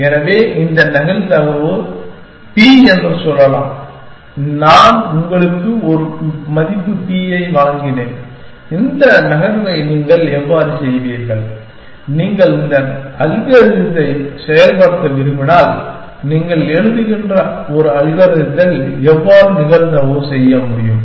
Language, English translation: Tamil, So, let us say this probability is p and I gave you a value p, how will you make this move probably, when you if you want to implement this algorithm, how do you make a move probabilistically in an algorithm that you are writing